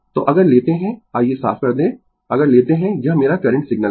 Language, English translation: Hindi, So, if we take the let me clear , if we take, this is my this is my current signal